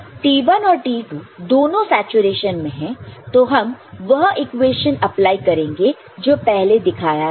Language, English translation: Hindi, So, when T1 and T2 both are in saturation and we apply the equation that we have shown before